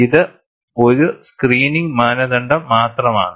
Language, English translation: Malayalam, This is only a screening criteria